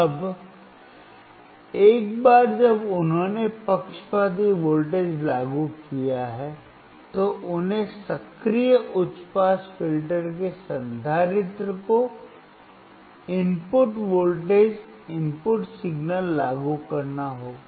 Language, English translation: Hindi, Now once he has applied the biased voltage, he has to apply the input voltage input signal to the capacitor of the active high pass filter